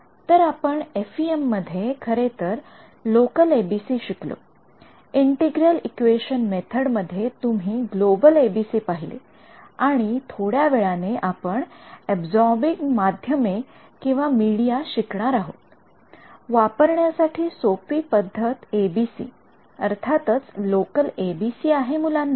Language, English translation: Marathi, So, we have actually seen local ABCs in FEM, you have seen global ABCs in integral equation methods and we will look at absorbing media little bit later, but the simplest ABC to implement is; obviously, local ABC this guy